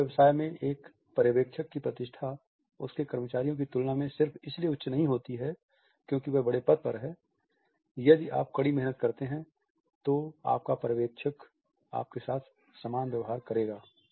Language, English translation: Hindi, A supervisor in a German business does not have a higher status than his employees just because his position is higher, if you work hard your supervisor would treat you as equal